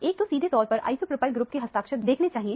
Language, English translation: Hindi, One right away sees the signature of the isopropyl group